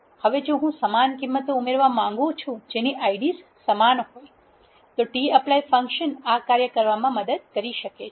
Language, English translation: Gujarati, Now, if I want to add the values which are having the same ids tapply function can help me